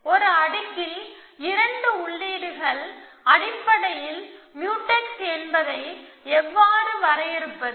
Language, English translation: Tamil, How do we define that two entries in a layer are Mutex essentially